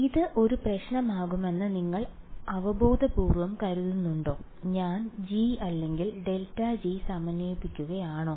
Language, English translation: Malayalam, Intuitively do you think this will be a problem what is, am I integrating g or grad g